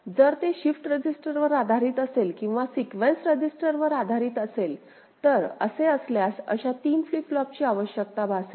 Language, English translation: Marathi, So, if it is shift registered based or register based – well, then three such flip flops will be required